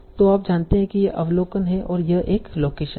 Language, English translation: Hindi, So you know this is the organization and it's the location